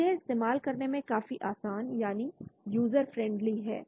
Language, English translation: Hindi, So it is quite user friendly